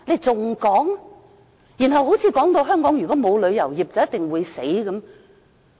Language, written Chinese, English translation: Cantonese, 大家又說如果香港沒有旅遊業，便一定會完蛋。, People also say without the tourism industry Hong Kong is doomed